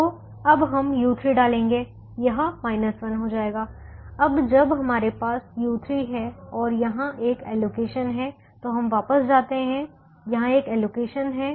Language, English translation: Hindi, so we will now put u three will become minus one now that we have u three and there is an allocation here